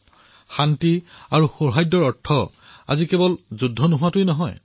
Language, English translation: Assamese, Today, peace does not only mean 'no war'